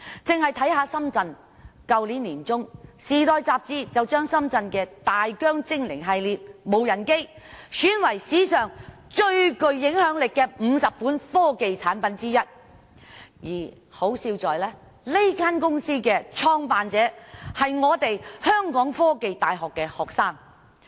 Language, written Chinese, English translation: Cantonese, 僅以深圳為例，去年年中，《時代周刊》將深圳的大疆精靈系列無人機選為史上最具影響力的50款科技產品之一，可笑的是，這間公司的創辦者是香港科技大學學生。, Just take Shenzhen as an example . In the middle of last year the TIME magazine selected the Phantom series of drones of Dajiang in Shenzhen as one of the 50 most influential gadgets of all time . Ironically the founder of this company was a student of The Hong Kong University of Science and Technology